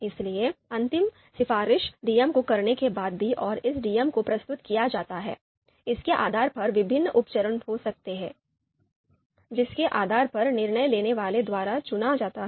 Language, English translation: Hindi, So even after a final recommendation is made to DM and it is presented to DM, there could be various sub steps depending on you know which one is picked by decision maker, so there could be various paths